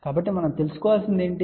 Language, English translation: Telugu, So, what we need to know